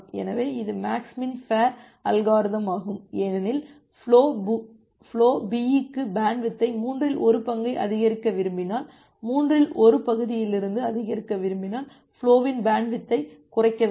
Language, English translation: Tamil, So, this is the max min fair algorithm because if you want to increase the bandwidth of this from one third say for flow B, if you want to want to increase it from one third you have to decrease the band width of flow A